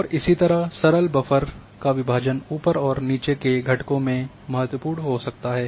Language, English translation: Hindi, And similarly the division of a simple buffer into uphill and downhill components can be important